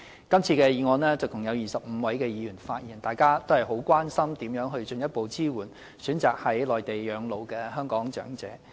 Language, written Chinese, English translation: Cantonese, 就這項議案，共有25位議員發言，大家都關心如何進一步支援選擇在內地養老的香港長者。, Altogether 25 Members have spoken on this motion showing that all of us are very concerned about how to provide further support to the Hong Kong elderly who choose to live their twilight years in the Mainland